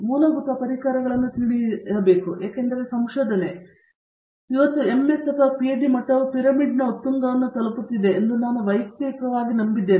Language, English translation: Kannada, Learn the basic tools because I personally believed that the research, whether it is a MS or PhD level is reaching the peak of the pyramid